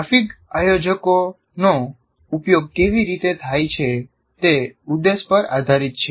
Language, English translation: Gujarati, So how graphic organizers are used depends on the objective